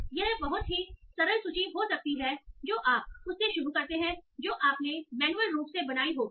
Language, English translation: Hindi, So this might be some very simple ways that you start with, that you might have created manually